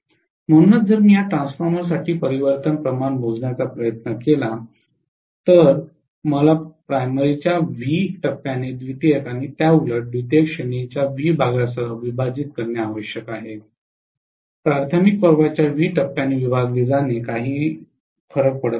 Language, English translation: Marathi, So if I try to calculate the transformation ratio for this transformer I have to take actually v phase of primary divided by the v phase of secondary or vice versa, v phase of secondary divided by v phase of primary it doesn’t matter